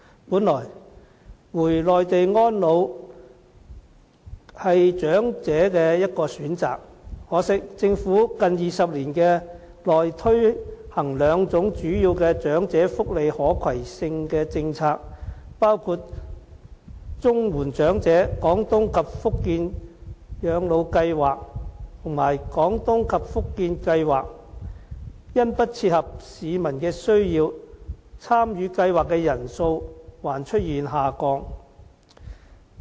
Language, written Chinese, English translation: Cantonese, 本來，回內地安老是長者的一個選擇，可惜，政府近20年內推行兩種主要的長者福利可攜性的政策，包括綜援長者廣東及福建省養老計劃和"廣東計劃"及"福建計劃"，因不切合市民的需要，參與計劃的人數還出現下降。, As a matter of fact spending their post - retirement lives on the Mainland is an option for elderly people . Unfortunately there is a drop in the number of participants in the two major portable welfare schemes introduced by the Government in the past two decades including the Portable Comprehensive Social Security Assistance PCSSA Scheme the Guangdong Scheme and the Fujian Scheme as these schemes cannot meet the need of the community